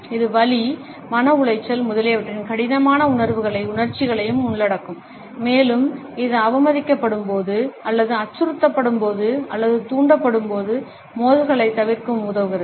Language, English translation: Tamil, It may also cover the difficult feelings and emotions of pain, distress, etcetera and also it helps us to avoid conflicts, when we have been insulted or threatened or otherwise provoked